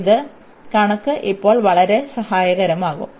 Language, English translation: Malayalam, So, this figure will be very helpful now